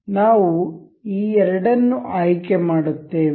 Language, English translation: Kannada, We will select these two